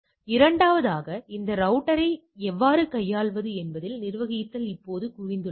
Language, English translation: Tamil, So, and secondly, that the manageability is now concentrated within how to handle this router